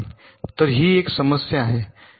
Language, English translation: Marathi, so this is one problem